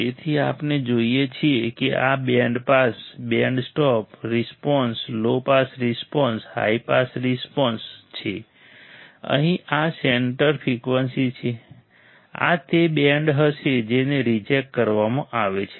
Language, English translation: Gujarati, So, we see this is the band pass, band stop response, low pass response, high pass response and here this is center frequency, this will be the band which is rejected